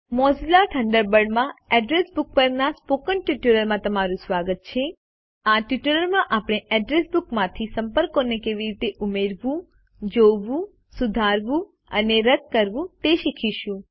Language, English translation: Gujarati, Welcome to the Spoken Tutorial on Address Book in Mozilla Thunderbird In this tutorial we will learn how to add, view, modify and delete contacts from the Address Book